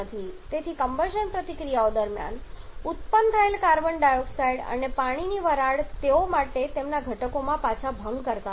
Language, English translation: Gujarati, So, the carbon dioxide and water vapour flows produced during the combustion reactions they are not breaking back to their constituents